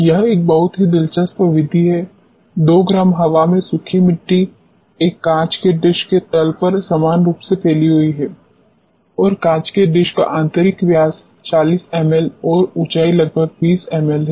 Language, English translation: Hindi, This is a very interesting method, 2 gram air dried soil is spread uniformly on the bottom of a glass dish and the dimension of glass dish are 40 mL internal diameter and approximately 20 mL in height